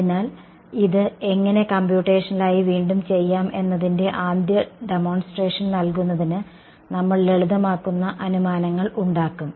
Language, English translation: Malayalam, So, in order to give you a first demonstration of how to do this computationally again we will make simplifying assumptions